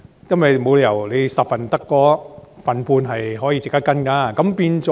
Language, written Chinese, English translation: Cantonese, 因為沒理由在10宗報告中只有 1.5 宗值得跟進。, This is because there is no reason that only 1.5 out of 10 reports were worth following up